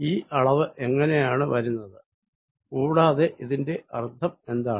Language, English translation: Malayalam, how does this quantity come about and what does it mean